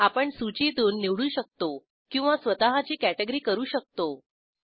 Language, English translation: Marathi, We can select from the list or add our own category